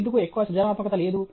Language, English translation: Telugu, Why is not there much creativity